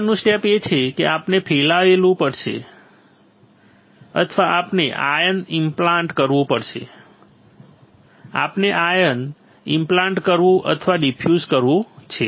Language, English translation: Gujarati, Next step is we have to diffuse or we had to ion implant what we have to ion implant or diffuse